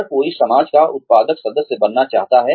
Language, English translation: Hindi, Everybody wants to be a productive member of society